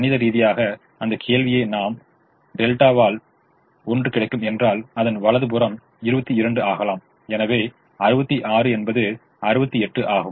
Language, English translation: Tamil, mathematically putting that question is: if delta is one, so right hand side may become twenty two, sixty six may become sixty eight